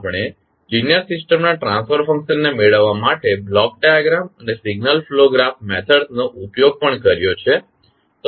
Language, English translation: Gujarati, We have also used block diagram and signal flow graph methods to obtain the transfer function of linear systems